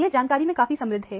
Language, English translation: Hindi, This is fairly rich in information